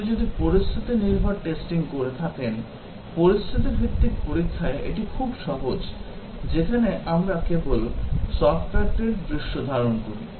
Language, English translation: Bengali, If you are doing a scenario based testing, in scenario based testing, it is very simple, where we just execute its scenario of the software